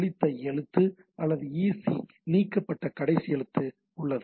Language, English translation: Tamil, There is Erase Character or EC delete last character sent right